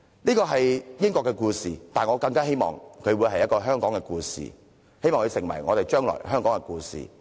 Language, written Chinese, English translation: Cantonese, 這是英國的故事，但我更希望這會成為香港的故事，成為將來在香港傳誦的故事。, This is a story happened in the United Kingdom but how I wish it would become a story long remembered and talked about by all of us in Hong Kong